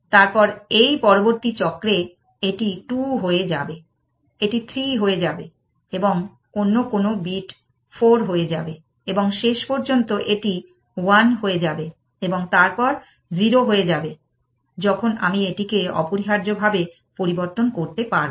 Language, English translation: Bengali, Then in this next cycle, this will become 2, this will become 3 and some other bit will become 4 and eventually, this will become 1 and then become 0, which is when I am allowed to change it essentially